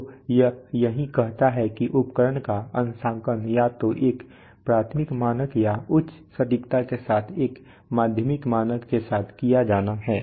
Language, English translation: Hindi, So that is what it says that with either a primary standard or a secondary standard with a higher accuracy then the instrument is to be calibrated